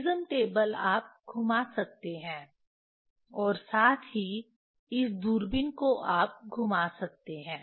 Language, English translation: Hindi, Prism table you can rotate as well as this telescope you can rotate